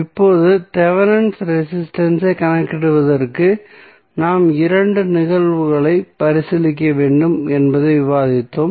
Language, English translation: Tamil, Now, we also discussed that for calculation of Thevenin resistance we need to consider two cases, what was the first case